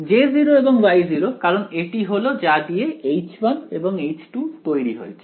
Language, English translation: Bengali, J 0 of r and Y 0 of r because that is what H 1 and H 2 are made of